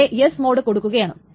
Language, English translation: Malayalam, It applies this in S mode